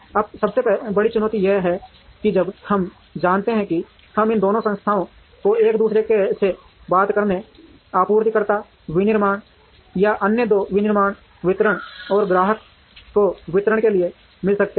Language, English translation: Hindi, Now, the biggest challenge is while we know that we could we could get these two entities to talk to each other, supplier, manufacturing or the other two manufacturing distribution, and distribution to customer